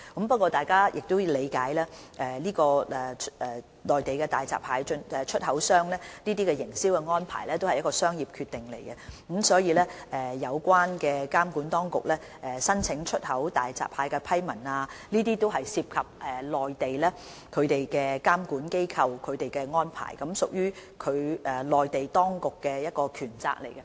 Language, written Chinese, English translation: Cantonese, 不過，大家必須理解，內地大閘蟹出口商的營銷安排屬商業決定，所以有關向內地監管當局申請出口大閘蟹的批文，涉及內地的監管安排，也是內地當局的權責。, However Members should understand that the marketing arrangements of the Mainland hairy crab exporters are commercial decisions; hence applications to the Mainland regulatory authorities for approval to export hairy crabs involve Mainlands regulatory arrangements which is within the jurisdiction of the Mainland authorities